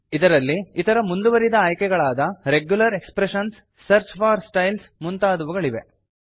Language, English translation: Kannada, It has other advanced options like Regular expressions, Search for Styles and a few more